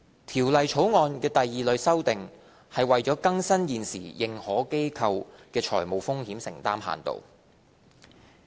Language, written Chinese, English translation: Cantonese, 《條例草案》第二類的修訂是為更新現時認可機構的財務風險承擔限度。, The second type of amendments in the Bill is for modernizing large exposure limits of AIs